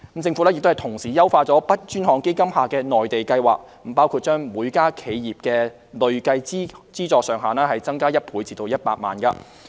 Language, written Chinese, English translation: Cantonese, 政府亦同時優化 BUD 專項基金下的"內地計劃"，包括把每家企業的累計資助上限增加1倍至100萬元。, The Government also optimizes the Mainland programme under the BUD Fund such as doubling the cumulative funding ceiling per enterprise to 1 million